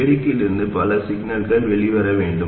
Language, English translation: Tamil, We want some signal to come out of the amplifier